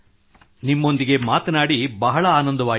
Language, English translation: Kannada, I felt very happy talking to you